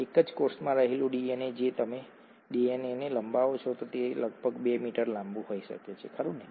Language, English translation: Gujarati, The DNA in a single cell, if you stretch out the DNA, can be about 2 metres long, right